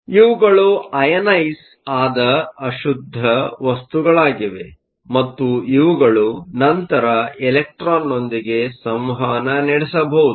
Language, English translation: Kannada, So, these are ionized impurities and these can then interact with the electron